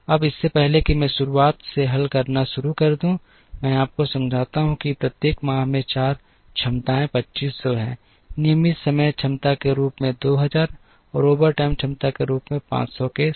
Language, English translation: Hindi, Now, before I start solving from the beginning, let me explain to you that the four capacities are 2500 in each month, with 2000 as regular time capacity and 500 as overtime capacity